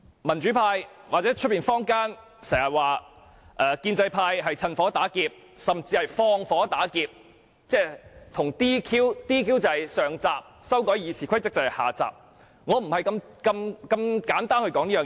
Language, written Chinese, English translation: Cantonese, 民主派或坊間經常指建制派"趁火打劫"，甚至"放火打劫"，而 "DQ" 是上集，修改《議事規則》則是下集，但我不會如此簡單地論述這一點。, A frequent claim by members from the pro - democracy camp or the community is that the pro - establishment camp attempts to fish in troubled waters or even set a fire and do the plunder and that DQ is the prelude while amending RoP is the sequel . But I will not put it in such simple terms